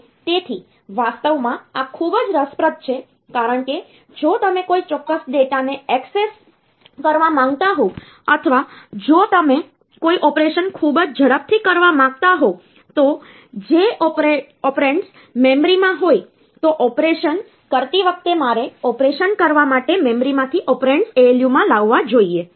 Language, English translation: Gujarati, And so, actually this is very interesting because for so, if you want to access a particular data or if you want to do and do an operation very fast, then if the operands are in memory then while doing the operation I should bring the operands from the memory to the ALU for doing the operation